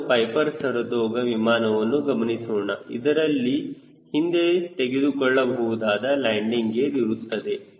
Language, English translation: Kannada, so we are now on piper saratoga aircraft, which has a retractable landing gear